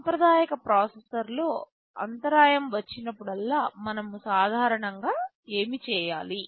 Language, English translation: Telugu, You see in a conventional processor whenever an interrupt comes, what do we do normally